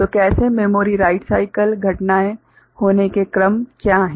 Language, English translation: Hindi, So, how memory write cycle you know; what are the sequence of events taking place